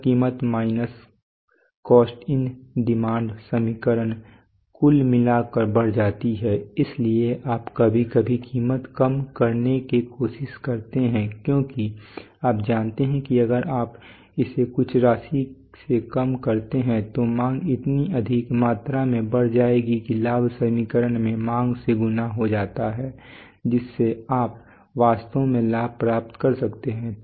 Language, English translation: Hindi, So much that that this price minus cost into demand equation overall increases so that is why you sometimes try to reduce price because you know that if you reduce it by a by some amount then that then demand will increase by so much amount that that when its, when the profit equation gets multiplied by demand then you can really gain